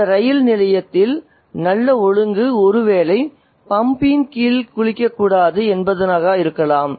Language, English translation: Tamil, The good order in this railway station is perhaps not to take a bath under the pump